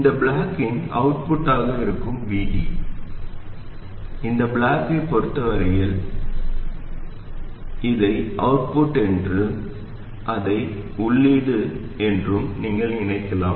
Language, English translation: Tamil, All it has to do is to make sure that VD, which is the output of this block, as far as this block is concerned, you can think of this as the output and this is the input